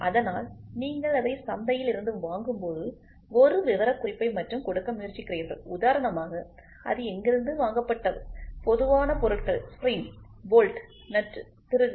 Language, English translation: Tamil, So, when you try to buy it from the market you try to give a specification only for example, bought out; bought out items are general items are spring, nut, bolt, screw